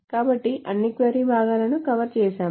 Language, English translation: Telugu, So we have covered all the query parts